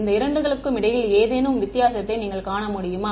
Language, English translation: Tamil, Can you visual it any difference between these two